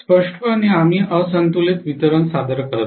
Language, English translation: Marathi, Clearly, we do not introduce unbalanced delivery